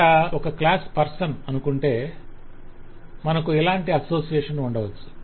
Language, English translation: Telugu, so i have a class person, i may have an association like this